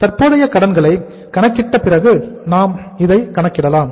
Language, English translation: Tamil, That we will calculate after we calculate the current liabilities level